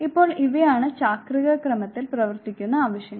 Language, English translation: Malayalam, Now these are the needs which work in cyclic order